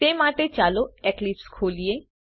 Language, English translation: Gujarati, For that let us open Eclipse